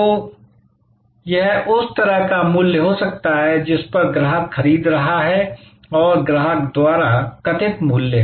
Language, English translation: Hindi, So, this can be kind of the price at which the customer is buying and this is the value as perceived by the customer